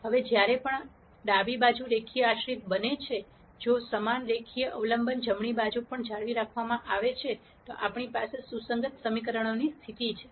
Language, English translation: Gujarati, Now whenever the left hand side becomes linearly dependent, if the same linear dependence is maintained on the right hand side also then we have the situation of consistent equations